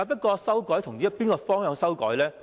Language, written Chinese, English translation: Cantonese, 然而，從哪個方向作出修改呢？, However what is the direction of amendment?